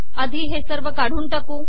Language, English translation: Marathi, First we will remove all this